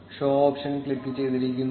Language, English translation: Malayalam, The show option is clicked